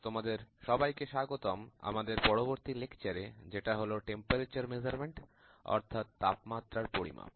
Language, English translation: Bengali, Welcome to the next lecture on Temperature Measurement